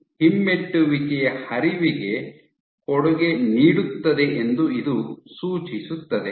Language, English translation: Kannada, This suggests that Myosin Contributes to retrograde flow